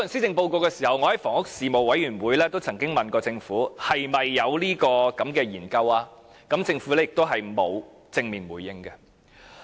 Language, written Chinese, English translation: Cantonese, 我在房屋事務委員會亦曾經問政府是否有這項研究？政府並無正面回應。, I have asked the Government in the Panel on Housing whether such a study was conducted but received no direct response